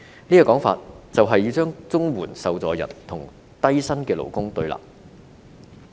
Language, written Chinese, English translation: Cantonese, 這種說法，便是要令綜援受助人與低薪勞工對立。, Such an argument puts the CSSA recipients in a position which is in direct confrontation with low - paid workers